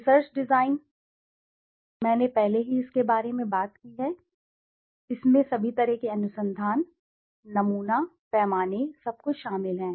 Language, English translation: Hindi, Research design I have already spoken about it so it includes all those like the kind of research, the sample, the scale everything